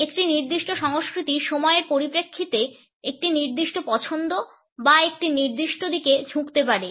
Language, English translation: Bengali, A particular culture may be inclined towards a particular preference or orientation in terms of time